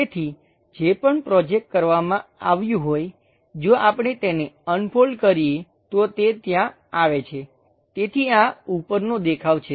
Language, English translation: Gujarati, So, whatever projected that if we unfold it, it comes there; so, this is a top view